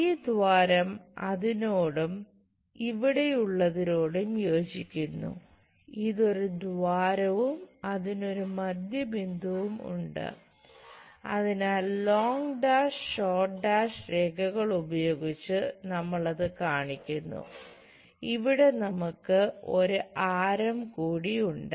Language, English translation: Malayalam, This hole corresponds to that and this one here because this is a hole and having a center, so we show by long dash short dash lines and here we have one more radius